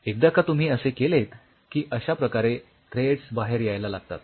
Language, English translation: Marathi, Once you do like that that is how these threads are going to come out